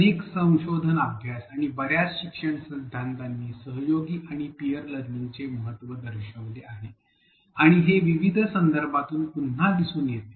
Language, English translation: Marathi, Several research studies and a lot of learning theories have shown the importance of collaboration and peer learning, and again this is across a variety of contexts